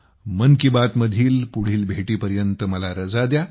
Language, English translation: Marathi, I take leave of you till the next episode of 'Mann Ki Baat'